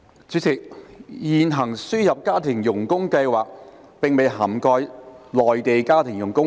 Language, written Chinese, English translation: Cantonese, 主席，現行輸入家庭傭工計劃並未涵蓋內地家庭傭工。, President the existing scheme for importation of domestic helpers does not cover Mainland domestic helpers MDHs